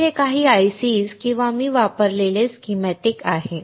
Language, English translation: Marathi, So, these are some of the ICs or a schematic that I have used